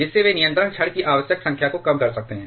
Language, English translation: Hindi, Thereby they can reduce the required number of control rods